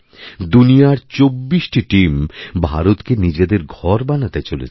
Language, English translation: Bengali, Twentyfour teams from all over the world will be making India their home